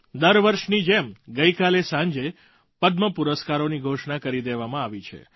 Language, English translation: Gujarati, Like every year, last evening Padma awards were announced